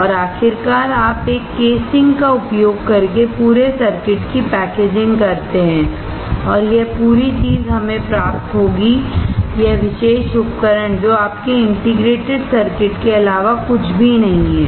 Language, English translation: Hindi, And finally, you use this casing for pack packaging the entire circuit and this whole thing will get us, this particular device that is nothing, but your integrated circuit